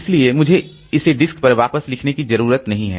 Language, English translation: Hindi, So, I don't have to write it back onto the disk